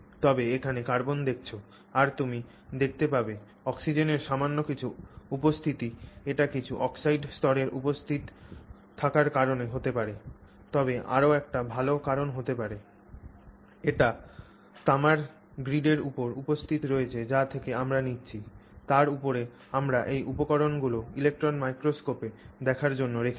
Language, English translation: Bengali, Uh, tiny bit of oxygen shows up there that could be due to some oxide layer that is present but more likely that it is present on the copper the copper grid from which we are taking on top of which we put these materials for viewing inside the electron microscope